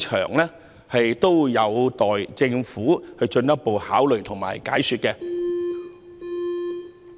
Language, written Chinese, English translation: Cantonese, 這些事宜有待政府進一步考慮及解說。, These matters await further consideration by and explanation from the Government